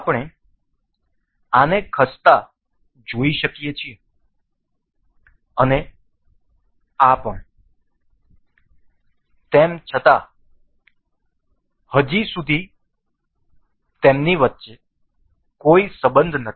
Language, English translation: Gujarati, We can see this moving and also this one however, there is no relation as of now